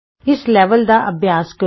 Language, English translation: Punjabi, Practice with this level